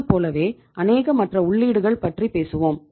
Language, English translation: Tamil, Similarly you talk about we have number of other inputs